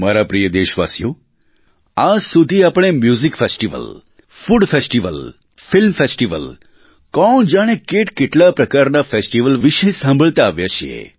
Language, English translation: Gujarati, My dear countrymen, till date, we have been hearing about the myriad types of festivals be it music festivals, food festivals, film festivals and many other kinds of festivals